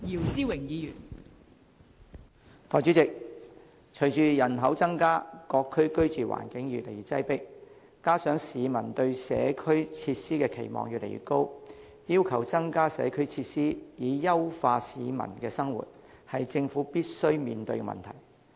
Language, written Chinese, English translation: Cantonese, 代理主席，隨着人口增加，各區居住環境越來越擠迫，加上市民對社區設施的期望越來越高，要求增加社區設施以優化市民的生活，是政府必須面對的問題。, Deputy President the living environment in various districts has become more crowded with the increase in population . This coupled with the publics ever - growing aspiration for additional community facilities to improve peoples livelihood are the problems which the Government must address squarely